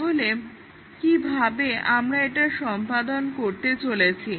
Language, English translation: Bengali, So, how do we go about doing this